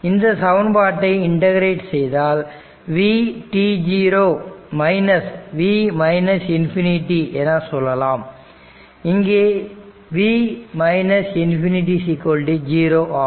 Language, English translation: Tamil, If you integrate this, it will be if you integrate this one, it will be v t 0 minus say v minus infinity